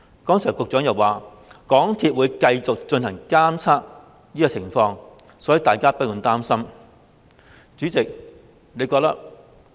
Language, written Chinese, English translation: Cantonese, 剛才局長又提到，港鐵公司會繼續進行監察工作，所以大家不用擔心。, Just now the Secretary also mentioned that MTRCL will continue to do monitoring work so we need not worry